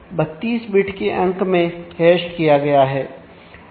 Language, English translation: Hindi, So, this is hashed into 32 bit number